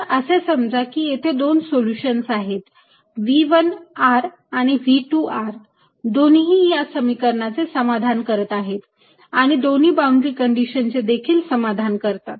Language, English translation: Marathi, let us assume there are two solutions: v one, r and v two are both satisfying this equation and both satisfying the same boundary conditions